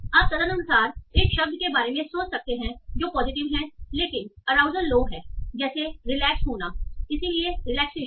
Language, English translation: Hindi, And you can accordingly think of a word that is positive but arousal is low, like getting relaxed